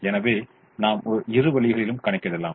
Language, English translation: Tamil, so we could do in either of the ways